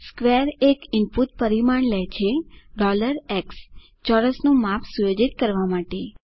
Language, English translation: Gujarati, square takes one input argument, $x to set the size of the square